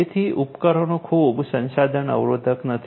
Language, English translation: Gujarati, So, the devices are not highly resource constrained